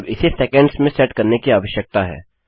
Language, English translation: Hindi, Now this needs to be set in seconds